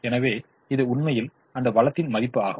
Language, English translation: Tamil, so this is actually the worth of that resource